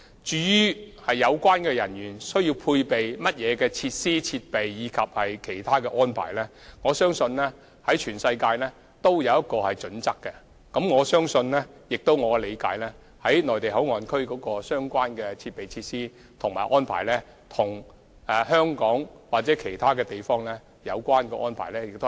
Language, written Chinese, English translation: Cantonese, 至於有關人員須配備甚麼設施、設備及其他安排，我相信全球也訂有相關準則，而據我理解，"內地口岸區"的相關設備、設施和安排，亦與香港或其他地方的相關安排相若。, With regard to the facilities equipment and other arrangements necessary for the relevant personnel to perform their duties I think relevant criteria have already been put in place all over the world and according to my understanding the facilities and equipment provided at and the arrangements made for the Mainland Port Area are comparable to those provided and made in Hong Kong or other places